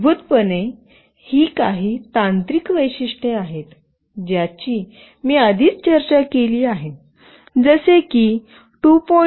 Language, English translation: Marathi, Basically, these are some technical specification, which I have already discussed, like 2